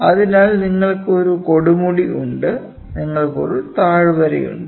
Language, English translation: Malayalam, So, you have a peak you have a valley